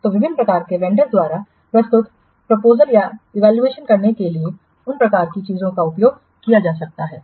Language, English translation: Hindi, So, those kinds of things, those kinds of methods can be used to evaluate the proposal submitted by different vendors